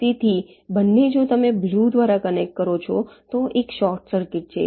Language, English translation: Gujarati, so both, if you connect by blue, there is a short circuit